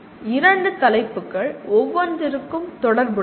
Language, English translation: Tamil, That is how two topics are related to each other